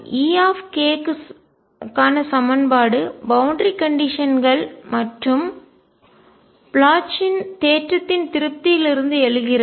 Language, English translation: Tamil, Equation for E k arises from the satisfaction of boundary conditions and Bloch’s theorem